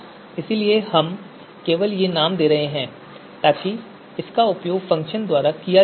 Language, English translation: Hindi, So we are just giving out these names so that you know it could be used by the function